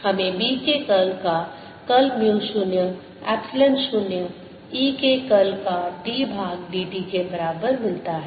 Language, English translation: Hindi, we get curl of curl of b is equal to mu zero, epsilon zero, d by d t of curl of e